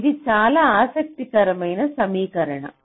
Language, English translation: Telugu, ok, this is a very interesting equation